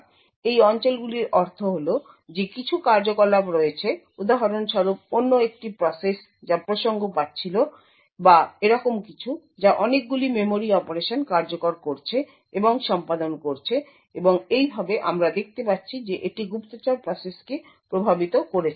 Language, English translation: Bengali, So this regions would mean that there is some activity for example another process that was getting context which or something like that which has been executing and performing a lot of memory operations and thus we see that it has affected the spy process